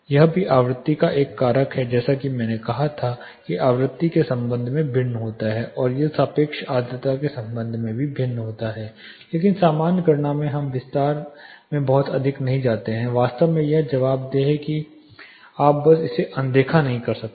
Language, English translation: Hindi, It also is a factor of frequency as I said it varies with respect to the frequency and not also it varies with respect to the relative humidity, but in common calculations we do not get too much into detail but this is yes in fact this is accountable you cannot simply ignore it